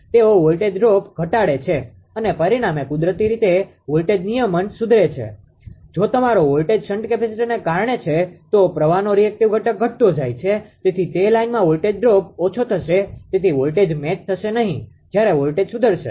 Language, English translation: Gujarati, They reduce voltage drop and consequently improve voltage regulation naturally if your voltage is because of shunt capacitor the reactive component of the current is getting decreased therefore, that in the line the voltage drop will be reduce hence the voltage ah voltage will do not match when voltage will improve